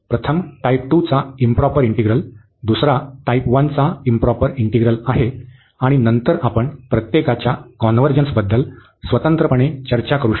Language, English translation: Marathi, The first one is the improper integral of type 2, the second one is then improper integral of type 1, and then we can discuss separately the convergence of each